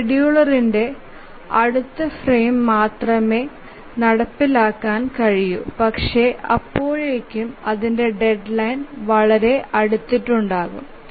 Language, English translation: Malayalam, The scheduler can only take up its execution in the next frame but then by that time its deadline is very near